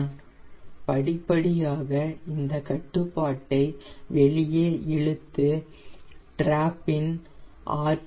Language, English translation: Tamil, here i gradually pull this control out and see the drop in rpm